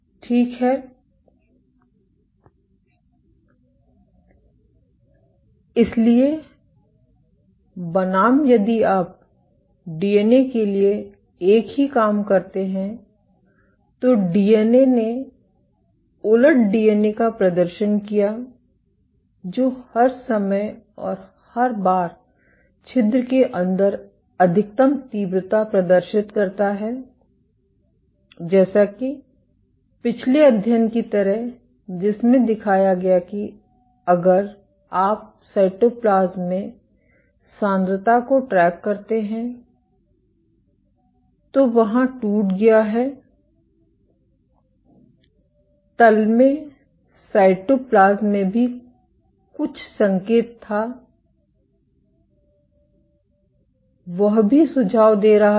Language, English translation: Hindi, So, versus if you do the same thing for the DNA, the DNA exhibited the reversing DNA exhibits maximum intensity inside the pore and every once in a while like the previous study which showed that there is ruptured if you track to the concentration in the cytoplasm, in the bottom there was some signal in the cytoplasm also suggesting